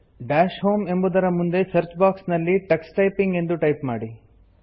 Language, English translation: Kannada, In the Search box, next to Dash Home, type Tux Typing